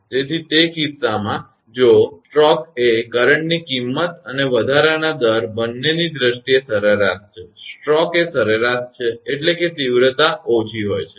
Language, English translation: Gujarati, So, in that case that if the stroke is average in terms of both current magnitude and rate of rise; stroke is average means intensity is less